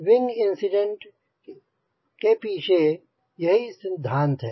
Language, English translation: Hindi, so that was the concept behind wing incidence